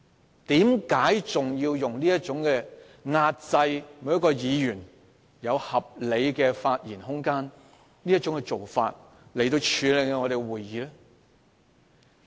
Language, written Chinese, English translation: Cantonese, 為何主席要採用這種壓制議員應有而合理的發言空間的做法來處理立法會會議呢？, Why does the President handle Council meetings in a way that compresses the reasonable room to speak to which Members are entitled?